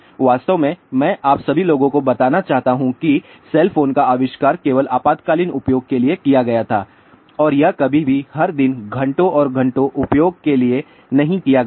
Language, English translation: Hindi, In fact, actually I want to tell you all people that the invention of cell phones was actually meant only for emergency use and it was never ever meant to be used for hours and hours everyday